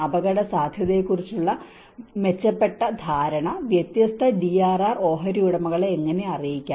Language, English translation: Malayalam, And how can an improved understanding of risk be communicated around varying DRR stakeholders